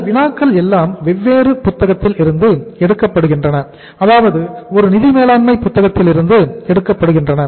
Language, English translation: Tamil, These problems are taken from different books and you will be finding these problems in the different books like any any book on the financial management